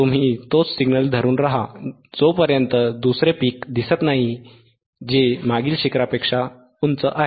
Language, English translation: Marathi, You keep on holding the same signal, until another peak appears which is higher than the previous peak which is higher than this peak